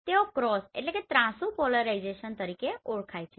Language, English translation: Gujarati, They are known as cross polarized